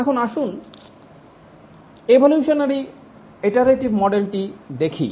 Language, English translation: Bengali, Now let's look at the evolutionary model with iteration